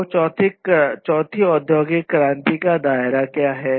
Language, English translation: Hindi, So, what is the scope of the fourth industrial revolution